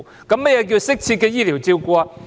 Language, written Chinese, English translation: Cantonese, 何謂"適切的醫療照顧"？, What does it mean by proper medical treatment?